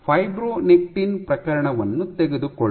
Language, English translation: Kannada, Let us take the case of fibronectin